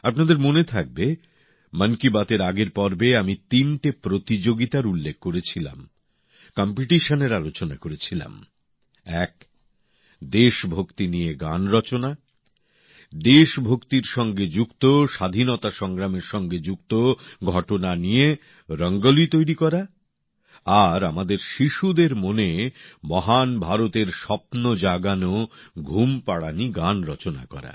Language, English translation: Bengali, You might be aware…in the last episodes of Mann Ki Baat, I had referred to three competitions one was on writing patriotic songs; one on drawing Rangolis on events connected with patriotic fervor and the Freedom movement and one on scripting lullabies that nurture dreams of a grand India in the minds of our children